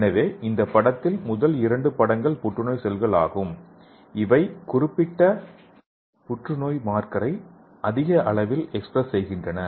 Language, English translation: Tamil, So in this picture the first two pictures is the cancer cell which have high level of expressing of the particular cancer marker